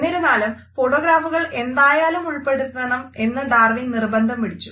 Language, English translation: Malayalam, However, Darwin had insisted on including these photographs